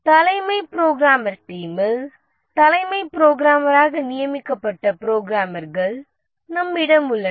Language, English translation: Tamil, The chief programmer team as the name says we have one of the programmers designated as the chief programmer